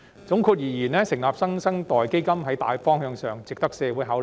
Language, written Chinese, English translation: Cantonese, 總括而言，成立"新生代基金"在大方向上值得社會考慮。, All in all the general direction of setting up the New Generation Fund is worthy of consideration by the community